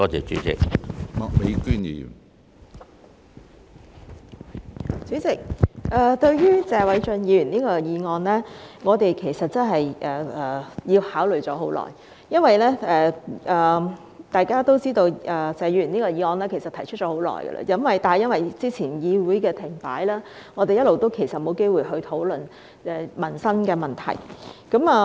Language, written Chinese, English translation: Cantonese, 主席，對於謝偉俊議員這項議案，我們其實考慮良久，因為大家也知道謝議員這項議案其實提出已久，但由於早前議會停擺，我們一直也沒有機會討論民生問題。, President we have in fact considered Mr Paul TSEs motion for a long time because as you all know it was proposed by Mr TSE long ago . But since the Council came to a standstill earlier we have not had the opportunity to discuss livelihood issues all along